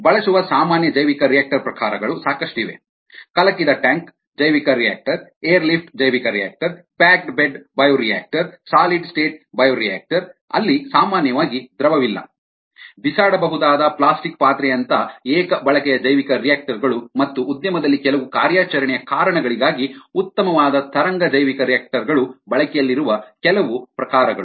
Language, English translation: Kannada, um, then we looked at the bio process, the bioreactor, the common bioreactor types that are used, such as stirred tank bioreactor, the air lift bioreactor, the packed bed bioreactor, solid state bioreactors, were there is no liquid, usually single use bioreactor, such as disposable plastic vessels and wave bioreactors, which are good for ah certain operational reasons in the industry, and photo bioreactor, which is used for ah cultivating photo synthetic organisms